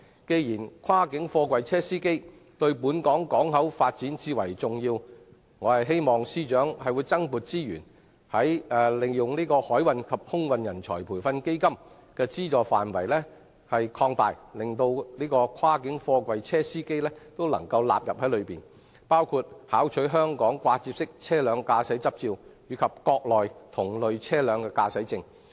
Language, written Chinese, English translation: Cantonese, 既然跨境貨櫃車司機對本港港口發展最為重要，我希望司長增撥資源，擴大海運及空運人才培訓基金的資助範圍，將跨境貨櫃車司機也一併納入，資助他們考取香港掛接式車輛駕駛執照及國內同類車輛的駕駛證。, Since cross - boundary container truck drivers are extremely important for the development of HKP I hope that the Secretary will deploy additional resources to extend the coverage of the Maritime and Aviation Training Fund to include cross - boundary container truck drivers as well with a view to subsidizing their application for driving licence for articulated vehicles in Hong Kong and driving licence for articulated vehicles on the Mainland